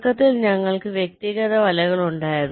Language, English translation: Malayalam, so initially we had the individual nets